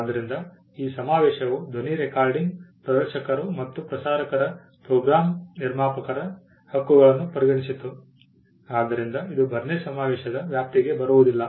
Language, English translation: Kannada, So, this convention considered the rights of phonogram producers of sound recordings performers and broadcasters which was not covered by the Berne convention